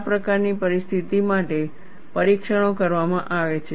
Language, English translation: Gujarati, The tests are done for these kinds of situations